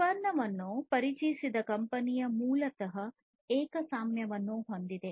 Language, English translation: Kannada, So, the company which introduced the product basically has monopoly